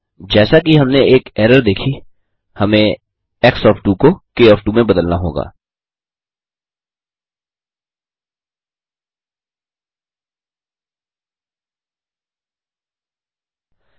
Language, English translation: Hindi, As we have seen an error we have to change x of 2 to k of 2